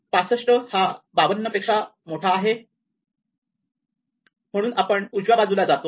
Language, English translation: Marathi, So, 65 is bigger than 52